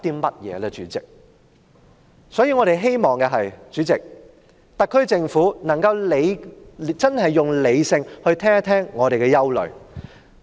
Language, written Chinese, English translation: Cantonese, 代理主席，我們希望特區政府能夠理性聆聽我們的憂慮。, Deputy President we hope that the SAR Government will listen to our concerns in a rational manner